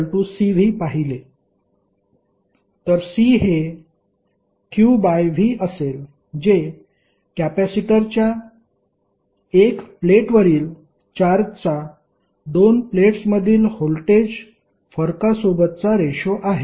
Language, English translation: Marathi, So it means the ratio of charge, on 1 plate of the capacitor to the voltage difference between 2 plates